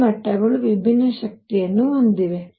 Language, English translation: Kannada, These levels have different energies